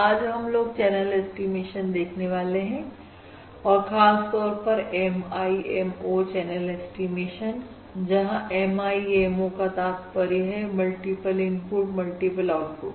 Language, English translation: Hindi, Today we are going to look at channel estimation and, specifically, MIMO channel estimation, where MIMO stands for Multiple Input, Multiple Output